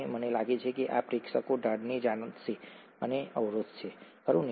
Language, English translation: Gujarati, And I think this audience would know the slope and intercept, right